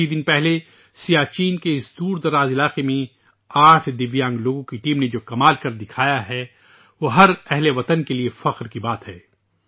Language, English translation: Urdu, A few days ago, the feat that a team of 8 Divyang persons performed in this inaccessible region of Siachen is a matter of pride for every countryman